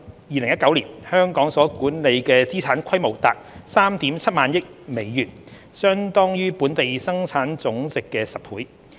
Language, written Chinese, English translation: Cantonese, 2019年，香港所管理的資產規模達 37,000 億美元，相當於本地生產總值的10倍。, The asset and wealth management business of Hong Kong amounted to around US3.7 trillion in 2019 which is equivalent to 10 times our GDP